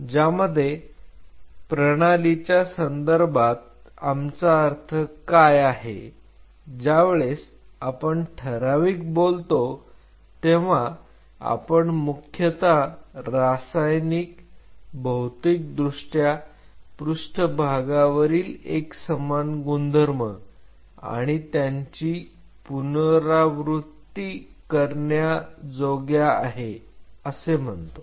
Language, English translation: Marathi, Which includes in terms of the system what we meant is we said defined when you talked about defined we mostly mean Chemically, Physically, Surface Property Uniform and Repeatable